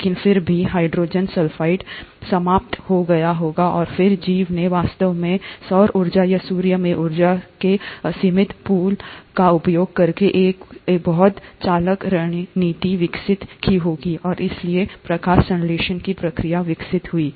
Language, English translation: Hindi, But then even hydrogen sulphide would have got exhausted and then, the organism must have developed a much smarter strategy of actually utilizing the unlimited pool of energy from solar energy or from the sun and hence the process of photosynthesis evolved